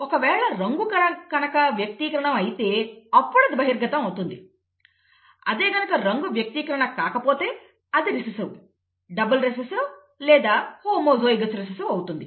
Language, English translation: Telugu, If it is deposited then again it is dominant, if it is not deposited it would be recessive, double recessive, homozygous recessive